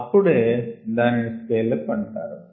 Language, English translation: Telugu, that is what is meant by scale up ah